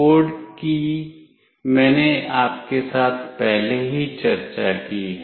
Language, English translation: Hindi, The code I have already discussed with you